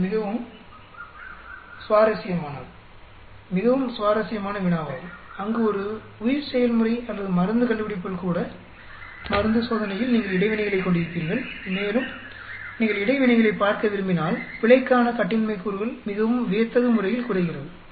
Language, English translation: Tamil, it is very interesting, very extremely interesting problem where in a bioprocess or even in drug discovery, drug testing you will end up having interactions and if you want to see the interactions, the degrees of freedom for error goes down so dramatically that you are not able to really see clearly the effect of each of these parameters